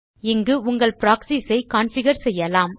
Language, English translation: Tamil, Here you can configure the Proxies